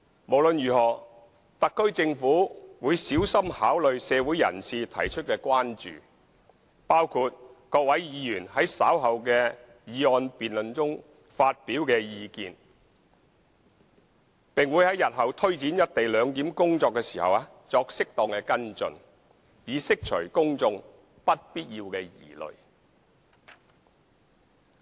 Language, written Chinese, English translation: Cantonese, 無論如何，特區政府會小心考慮社會人士提出的關注，包括各位議員在稍後的議案辯論中發表的意見，並於日後推展"一地兩檢"工作時作適當的跟進，以釋除公眾不必要的疑慮。, In any case the SAR Government will carefully consider the concerns voiced by community figures including views to be expressed by various Members during the motion debate later on and undertake follow - up where appropriate when taking forward the tasks of implementing the co - location arrangement in future so as to allay the undue concerns of the public